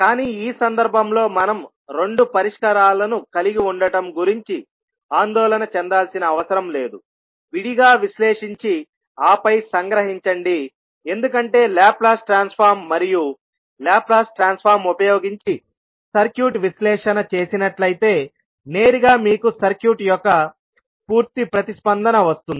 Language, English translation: Telugu, But in this case we need not to worry about having two solutions analyze separately and then summing up because the Laplace transform and the circuit analysis using Laplace transform will directly give you the complete response of the circuit